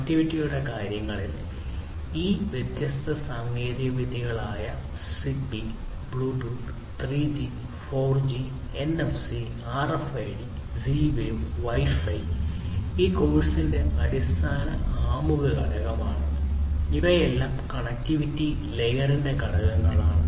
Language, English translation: Malayalam, And in terms of connectivity all these different technologies ZigBee, Bluetooth, 3G, 4G, NFC, RFID Z Wave, Wi Fi; all of these different things that we have talked about in the past, in the basic introduction component of this course all of these are basically constituents of the connectivity layer